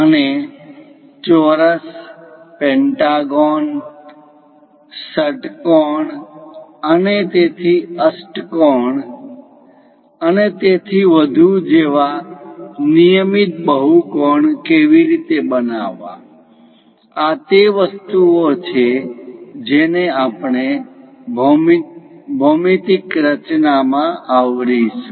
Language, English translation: Gujarati, And how to construct regular polygons like square, pentagon, hexagon and so on octagon and so on things; these are the things what we are going to cover in geometric constructions